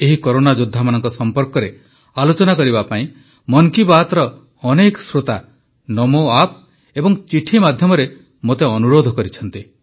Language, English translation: Odia, Many listeners of Mann Ki Baat, on NamoApp and through letters, have urged me to touch upon these warriors